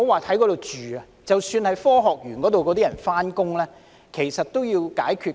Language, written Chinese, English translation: Cantonese, 當區居民及科學園上班族的交通問題都需要解決。, Traffic problems of local residents and Science Park commuters all need to be solved